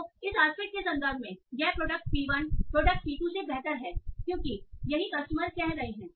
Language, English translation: Hindi, So this product P1 is better than product P2 in terms of this aspect because that is what customers are saying